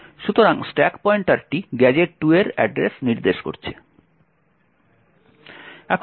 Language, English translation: Bengali, Therefore, the stack pointer is pointing to the address gadget 2